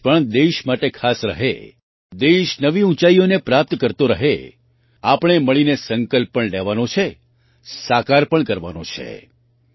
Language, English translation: Gujarati, May this year also be special for the country, may the country keep touching new heights, and together we have to take a resolution as well as make it come true